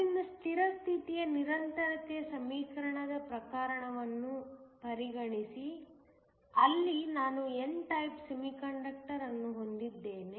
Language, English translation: Kannada, So, consider the case of a steady state continuity equation, where I have an n type semiconductor